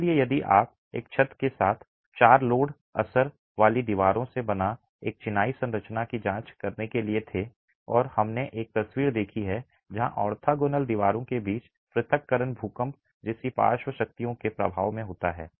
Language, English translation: Hindi, So, if you were to examine a masonry structure as composed of four load bearing walls with a roof and we have seen a picture where separation between the orthogonal walls happens under the effect of lateral forces like earthquakes